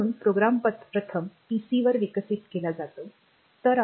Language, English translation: Marathi, So, the program is first developed on the pc